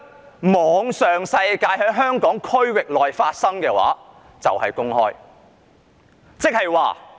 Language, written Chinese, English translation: Cantonese, 在互聯網上、在香港特區內發生的就是公開。, In the Internet incidents that happen in the Hong Kong Special Administrative Region are public